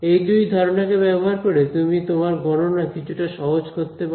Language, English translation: Bengali, So, if you use these two assumptions you can simplify your mathematics a little bit more